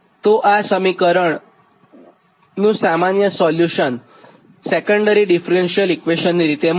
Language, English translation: Gujarati, so this is secondary differentially equation